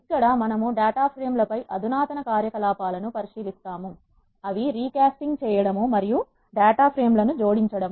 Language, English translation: Telugu, Here we will look at more sophisticated operations on data frames, such as recasting and joining of data frames